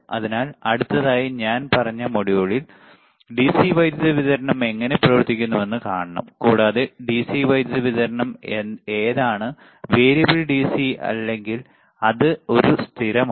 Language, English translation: Malayalam, So, in the next like I said module we have to see how the DC power supply operates, and what are the kind of DC power supply is it variable DC or it is a constant